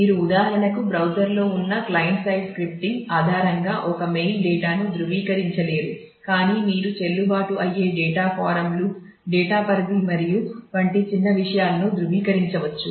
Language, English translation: Telugu, You cannot for example, validate a mail data based on the client side scripting sitting on the browser, but you can validate small things like valid data forms, range of data and so, on